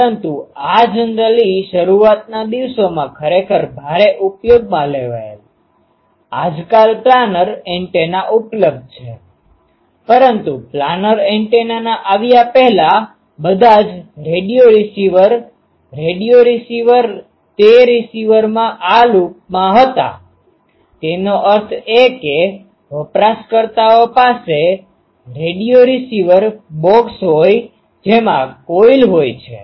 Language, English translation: Gujarati, But this ah generally ah is heavily used actually in ah early days; nowadays the ah planar antennas are available , but before that advent of planar antennas, all radio receivers radio um receivers they were having this loop in the receiver; that means, a users box the radio receiver that used to have a coil